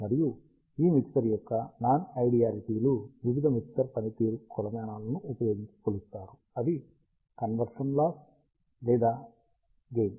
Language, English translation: Telugu, And this mixer non idealities are measured using various mixer performance metrics, which are conversion loss or gain